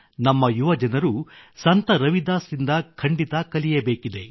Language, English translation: Kannada, Our youth must learn one more thing from Sant Ravidas ji